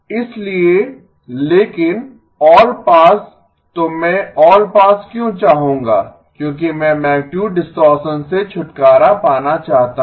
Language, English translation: Hindi, So but all pass so why would I want all pass because I want to get rid of magnitude distortion